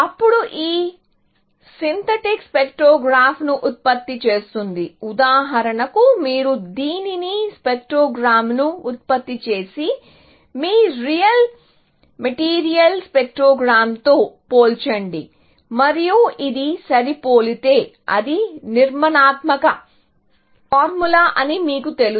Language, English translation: Telugu, Then, of course, it generates the synthetic spectrogram of the, for example, you take this generate the spectrogram and compare it with your real material spectrogram, and if this matches, then you know that it is the structural formula and so on, essentially